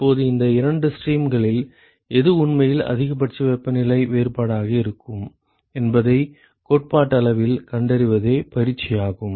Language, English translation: Tamil, Now, the exercise is to find out theoretically which of these two streams is actually going to be the maximal temperature difference, right